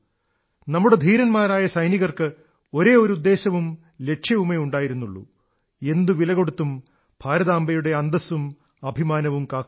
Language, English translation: Malayalam, Our brave soldiers had just one mission and one goal To protect at all costs, the glory and honour of Mother India